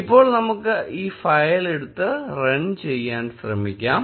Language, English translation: Malayalam, Now, let us take this file and try running it